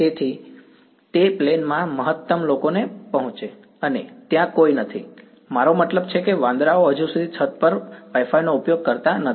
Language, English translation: Gujarati, So, that it feeds maximum people in the plane and there is no, I mean monkeys are not yet using Wi Fi one the roof